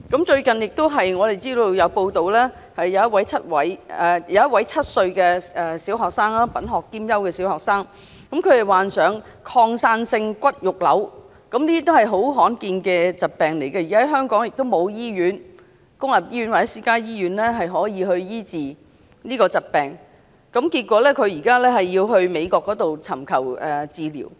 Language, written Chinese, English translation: Cantonese, 最近有一則報道，一名7歲品學兼優的小學生患上擴散性骨肉瘤，這是很罕見的疾病，而且香港無論公立醫院或私家醫院也未能醫治這個疾病，結果他需要到美國尋求治療。, It has been reported recently that a seven - year - old child who excels in both morals and studies is diagnosed as having metastatic osteosarcoma . This is a very rare disease . Both public and private hospitals in Hong Kong have failed to treat his disease